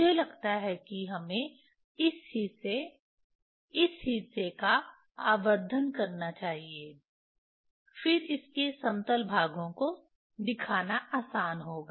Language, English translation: Hindi, I think we should magnify this part, this part, then it will be easiest to show this leveling parts